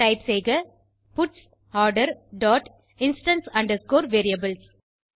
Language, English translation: Tamil, Type puts Order dot instance underscore variables